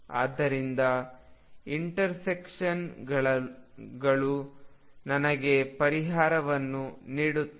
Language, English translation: Kannada, So, intersections give me the solutions